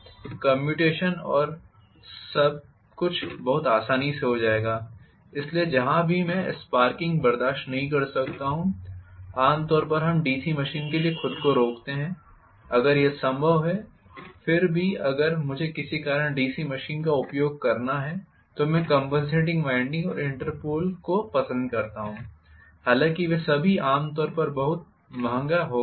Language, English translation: Hindi, In which case again the neutral axis will be back to normal the commutation and everything will go on very smoothly, so wherever I cannot tolerate sparking, generally we tend to avoid DC machine itself, if it is possible, still if I have to use DC machine for some reason, then I might like to put compensating winding and Interpole although all of them became generally much costlier